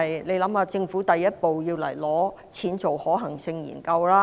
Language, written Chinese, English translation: Cantonese, 大家想一想，政府第一步要來申請撥款，進行可行性研究。, As the first step the Government has to apply for funding here and conduct a feasibility study